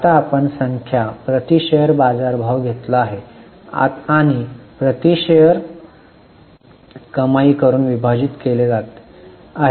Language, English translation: Marathi, Now in the numerator we have taken market price per share and divided it by earning per share